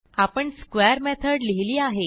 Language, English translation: Marathi, So we have written a square method